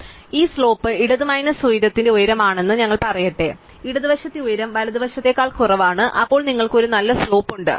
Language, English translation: Malayalam, So, we let us say this slope is height of the left minus height, so the height of the left is less than the height of the right, then you have a positive slope